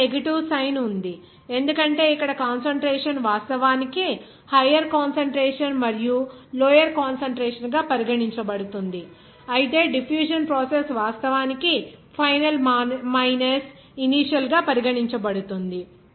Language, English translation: Telugu, Here negative sign is there because here the concentration is actually considered here they are higher concentration and lower concentration, but the difference of what the diffusion process is considering actually final minus initial